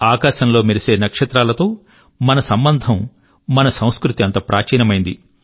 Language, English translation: Telugu, Our connection with the twinkling stars in the sky is as old as our civilisation